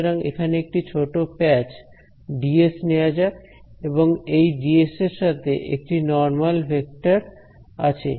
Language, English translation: Bengali, So, let us take one small patch dS over here this dS has some normal vector over here right